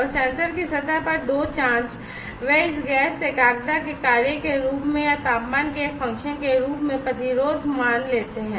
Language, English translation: Hindi, And two probe on the surface of the sensor, they take the resistance value as a function of this gas concentration or, as a function of temperature